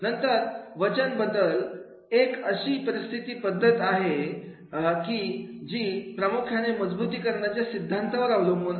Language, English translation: Marathi, Then the behavior modification is a training method that is primarily based on the reinforcement theory